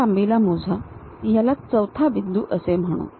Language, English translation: Marathi, Measure this length call this one as 4th point